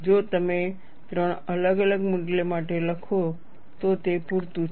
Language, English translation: Gujarati, It is enough if you write for 3 different values